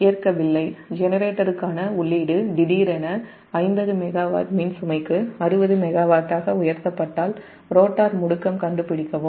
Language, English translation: Tamil, b, if the input to the generator is suddenly raised to sixty megawatt for an electrical load of fifty megawatt, and find the rotor acceleration